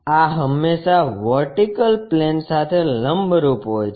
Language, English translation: Gujarati, This is always be perpendicular to vertical plane